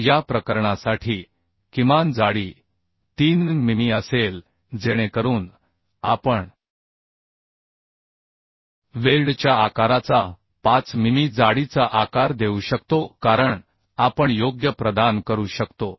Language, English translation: Marathi, So for this case the minimum thickness will be 3 mm so we can we can provide 5 mm thickness size of the size of the weld as 5 mm we can provide right